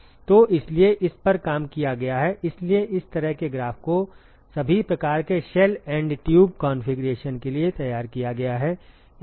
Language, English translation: Hindi, So, so this has been worked out so this kind of graph has been worked out for all kinds of shell and tube configuration